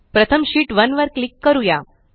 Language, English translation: Marathi, First, let us click on sheet 1